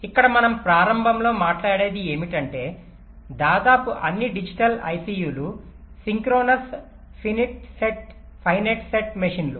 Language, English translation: Telugu, ok here, what we talk about at the beginning is that we say that almost all digital i c's are synchronous finite set machines